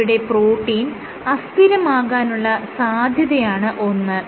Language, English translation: Malayalam, So, let us say that the protein is very unstable